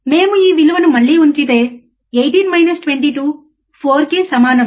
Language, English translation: Telugu, If we put this value again, 18 minus 22 would be 4 again it is a mode